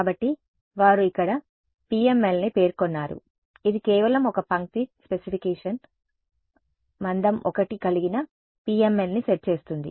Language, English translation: Telugu, So, they have specified here PML this is just one line specification set a PML of thickness 1